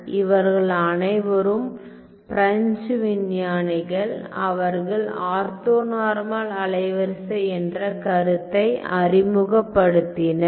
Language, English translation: Tamil, So, these are all French scientists and Mallat, they introduced the concept of orthonormal wavelets ok